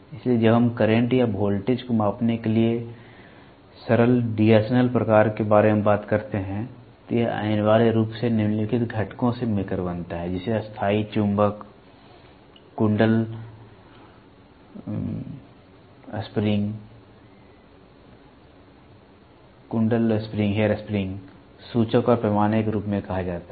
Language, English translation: Hindi, So, when we talk about simple D’Arsonval type to measure current or voltage, it essentially consist of the following components one is called as a permanent magnet, coil hair spring, pointer and scale